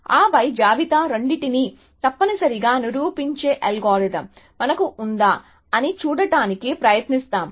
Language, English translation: Telugu, And then we will try to see whether, we can have an algorithm which proven both the list essentially